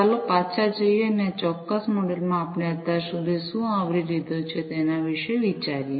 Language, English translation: Gujarati, So, let us go back and think about what we have covered so, far in this particular module